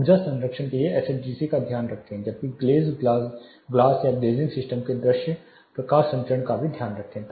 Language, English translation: Hindi, Take care of SHGC for energy conservation whereas also take care of the visible light transmission property of the glaze glass or glazing system